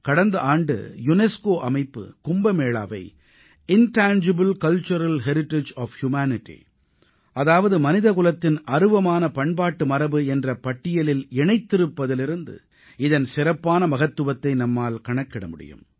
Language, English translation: Tamil, It is a measure of its global importance that last year UNESCO has marked Kumbh Mela in the list of Intangible Cultural Heritage of Humanity